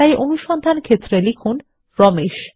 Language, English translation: Bengali, So type Ramesh in the Search For field